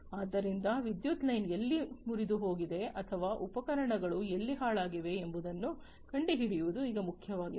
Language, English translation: Kannada, So, it is now important to locate the point where the power line is broken or where the equipment you know has gone down